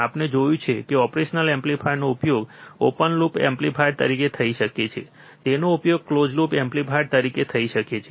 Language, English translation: Gujarati, We have seen operational amplifier can be used as an op open loop amplifier, it can be used as an closed loop amplifier